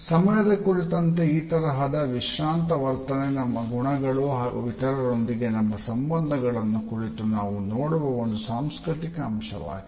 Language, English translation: Kannada, So, this laid back attitude in terms of time is a cultural aspect of looking at our values and our relationships with other people